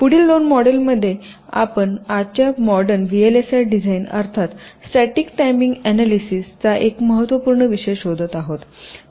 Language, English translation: Marathi, then in the next two modules we shall be looking at a very important topic of modern day v l s i design, namely static timing analysis